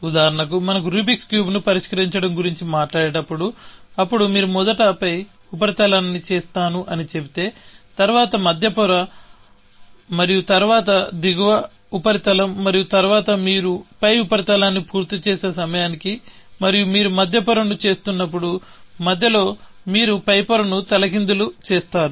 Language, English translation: Telugu, For example, when we talk about solving the rubrics cube, then if you say I will do the top surface first, and then, the middle layer and then, the lower surface and then, by the time you finished the top surface and while, you are doing the middle layer, in the middle, you upset the top layer